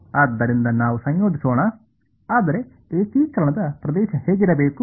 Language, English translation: Kannada, So, let us integrate, but what should be the region of integration